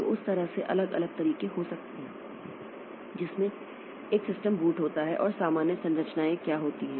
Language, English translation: Hindi, So, that way there can be different ways in which a system boots and what are the general structures